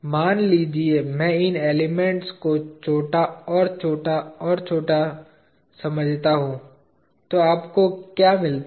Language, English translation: Hindi, Suppose I think of these elements to be smaller and smaller and smaller, what do you get